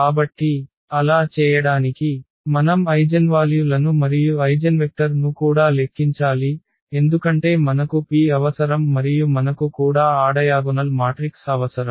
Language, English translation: Telugu, So, but to do so, we have to compute the eigenvalues and also the eigenvectors, because we need that P and we also need that diagonal matrix